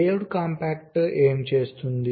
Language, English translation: Telugu, now, layout compactor, what it does it